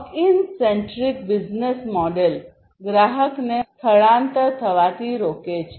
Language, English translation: Gujarati, Lock in centric business model prevents the customer from migration